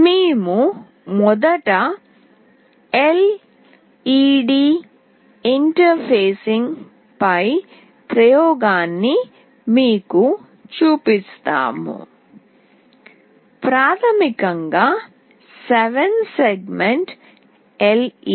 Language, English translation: Telugu, We first show you the experiment on LED interfacing, basically 7 segment LED